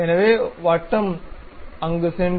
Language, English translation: Tamil, So, circle, go there, construct